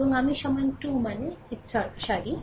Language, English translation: Bengali, And i is equal to 2 means ah ith row